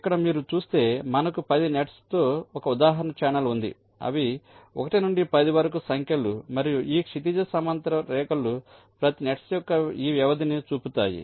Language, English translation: Telugu, ok, you see that here we have a example channel with ten nets which are number from one to up to ten, and these horizontal lines show this span of each of the nets